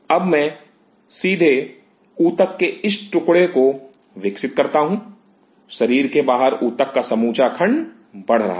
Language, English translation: Hindi, Now I directly grow this piece of tissue; growing the intact piece of tissue outside the body